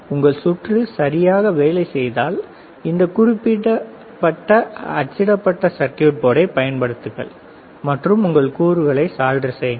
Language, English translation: Tamil, Once your circuit is ok, then you use this particular printed circuit board and solder your components, right